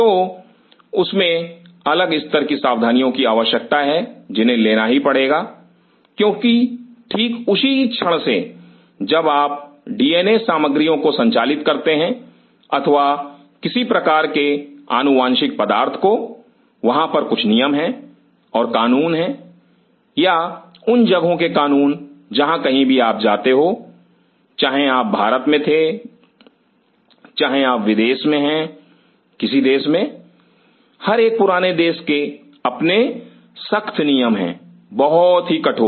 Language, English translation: Hindi, So, that demands different level of precautions which has to be taken, because the very moment you are handling with the DNA material or any kind of genetic material there are certain rules and regulation or the law of the land wherever you go, whether you were in India whether you are abroad any country, every chronic country has very stringent rules extremely stringent